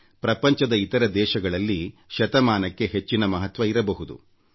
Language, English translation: Kannada, For other countries of the world, a century may be of immense significance